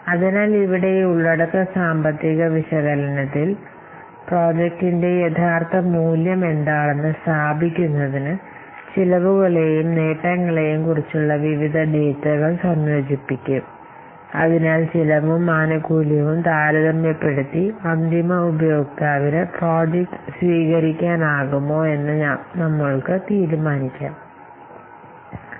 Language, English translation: Malayalam, So, here in this content financial analysis, this will combine, this section will combine the various costs and benefit data to establish what will the real value of the project, whether the project can be accepted by the end user not, whether the project can be accepted by the developer not by comparing the cost and benefits